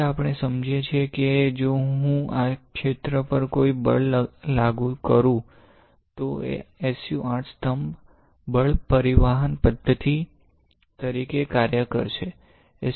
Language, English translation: Gujarati, Now we understand that, if I apply a force to this area right, then SU 8 pillar will act as a force transducing mechanism